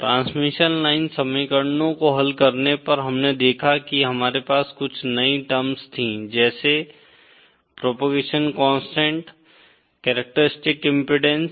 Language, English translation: Hindi, On solving the transmission line equations, we saw that we had some new terms like the propagation constant, characteristic impedance